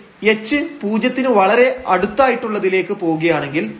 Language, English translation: Malayalam, But if you go pretty close to h to 0 for example, h is equal to 0